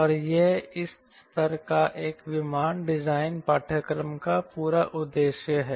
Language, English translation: Hindi, and that is the whole purpose of this level one aircraft design course